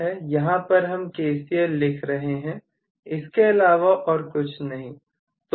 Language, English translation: Hindi, So basically, we are writing KCL that is all, nothing more than that